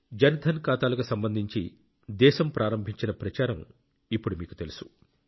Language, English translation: Telugu, You are aware of the campaign that the country started regarding Jandhan accounts